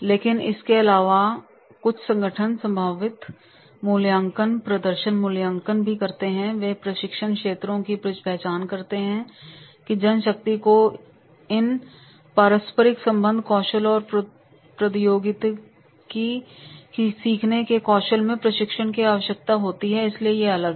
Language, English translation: Hindi, But some organization in addition to this, they also do the potential appraisal, performance appraisal and they identify the training areas that our main power requires the training into these these skills, decision making skills, interpersonal relationship skills, technology learning skills